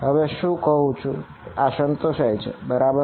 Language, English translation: Gujarati, Now can I say that this satisfies right